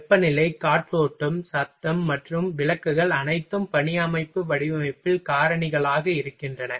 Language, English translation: Tamil, Temperature, ventilation, noise, and lighting are all factor in work system design